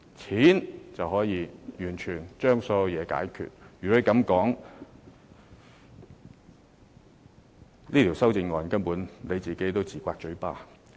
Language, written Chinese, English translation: Cantonese, 若然如此，張議員提出這項修正案根本是自打嘴巴。, If this is the case the amendments proposed by Dr CHEUNG would be a slap on his face